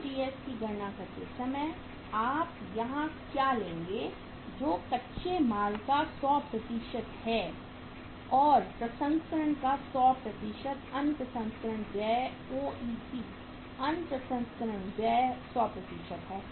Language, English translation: Hindi, While calculating COGS what you will take here that is 100% of raw material plus 100% of processing other processing expenses OPE, other processing expenses 100% now